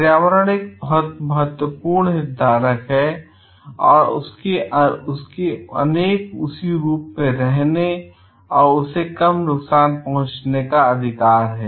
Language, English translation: Hindi, Environment is a very important stakeholder and it has a right to exist in the form as it is and to be less harmed